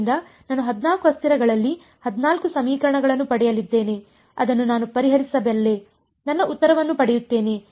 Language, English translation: Kannada, So, I am going to get 14 equations in 14 variables I can solve it I will get my answer